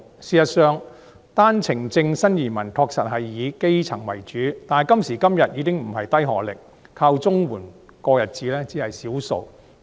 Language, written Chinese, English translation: Cantonese, 事實上，單程證新移民確實是以基層為主，但今時今日，低學歷、靠綜援過日子的人士只是少數。, Actually most OWP entrants are indeed grass - roots people . But today those with a low education level who live on CSSA are only in the minority